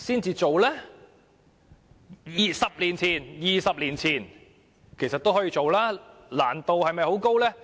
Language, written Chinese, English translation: Cantonese, 其實 ，20 年前也可以做，難度是否很高？, In fact they could have been proposed 20 years ago; was it very difficult to do so?